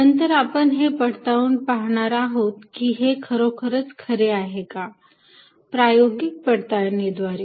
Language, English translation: Marathi, Then, we are going to see how this can be confirmed that this is really true, experimental verification